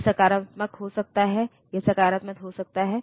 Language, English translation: Hindi, It may be negative it may be positive